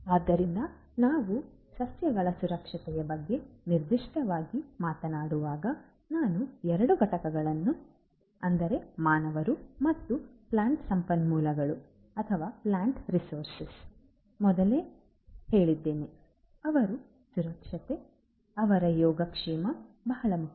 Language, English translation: Kannada, So, when we are talking about plant safety specifically as I said before two entities humans and plant resources, their safety, their well being is very important